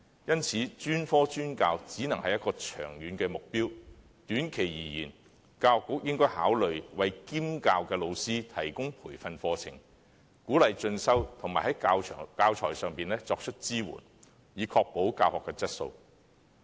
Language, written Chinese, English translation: Cantonese, 因此，專科專教只能是一個長遠目標，短期而言，教育局應考慮為兼教老師提供培訓課程，鼓勵進修，並在教材上作出支援，以確保教學質素。, Therefore specialized teaching may well be a long - term goal . In the short run the Education Bureau should consider providing training courses to non - major history teachers to encourage them to pursue further studies and offer support in terms of teaching materials to assure the quality of teaching